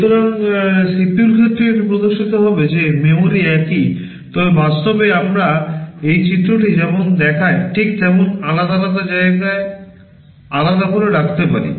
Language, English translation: Bengali, So, with respect to CPU it appears that the memory is the same, but in practice we may store them separately in separate parts as this diagram shows